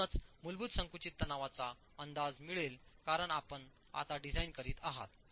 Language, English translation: Marathi, So, that you get an estimate of the basic compressive stress because you are designing now